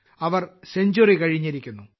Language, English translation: Malayalam, She has crossed a century